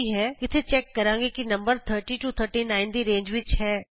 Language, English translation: Punjabi, Here we check whether the number is in the range of 30 39